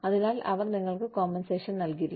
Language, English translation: Malayalam, So, they will not compensate you, for it